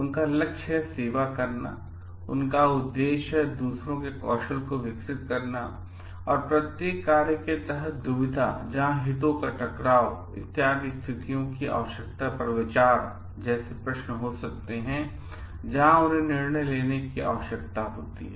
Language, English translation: Hindi, So, they aim at like serving, their aim at developing the skills of others and there could be like questions of dilemma under each functions, where they need to take a decision, where taking into considerations the need of the situations conflict of interest, etcetera